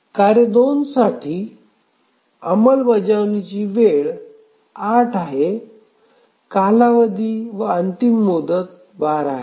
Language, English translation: Marathi, For task 2, the execution time is 8, the period and deadline are 12